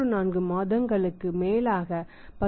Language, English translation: Tamil, 34 months, 10